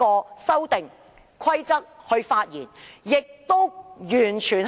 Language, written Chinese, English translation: Cantonese, 所以，《修訂規則》的生效日期相當重要。, In the light of this the commencement date of the Amendment Rules is very important